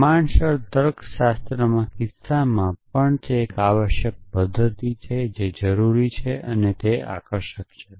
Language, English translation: Gujarati, In proportional logic case also it is a complete method essentially which is why it is so attractive essentially